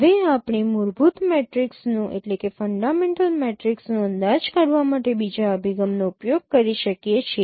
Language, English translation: Gujarati, And then we discussed also estimation of fundamental matrix